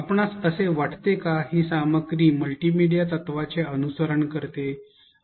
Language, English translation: Marathi, Do you think that this content follows the multimedia principle